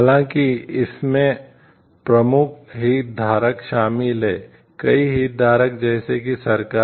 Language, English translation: Hindi, However, in this the main stakeholders involved, there are lot of stakeholders like government